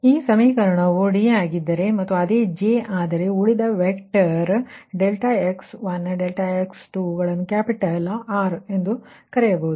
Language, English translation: Kannada, therefore, this equation, if it is d, if it is d and this is j, and this residual vector, delta x one, delta x two, this can be called as capital r right